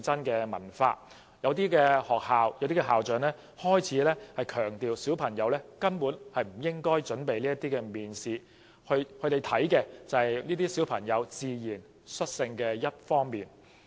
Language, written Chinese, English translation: Cantonese, 部分學校和校長更強調小朋友根本不應為面試作準備，因為學校注重的是小朋友自然率性的表現。, Some schools and principals even emphasize that children should simply not make preparations for interviews because what schools care most is their performance in a natural and unpretentious manner